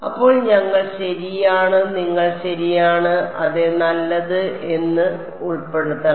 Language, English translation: Malayalam, Then we should include correct you are right yeah good